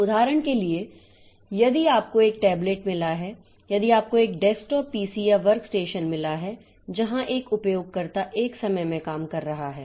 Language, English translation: Hindi, For example, if you have got a tablet, if you have got a desktop PC or a workstation where a single user is working at a time